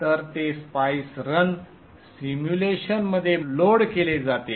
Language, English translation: Marathi, So that is loaded into the Spice, run the simulation